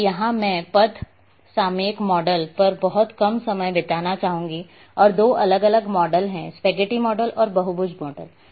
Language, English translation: Hindi, Now, here I would like to spend little bit time on path topological model and there are two different; types spaghetti model and polygon model